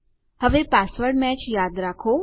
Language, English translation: Gujarati, now remember our passwords match..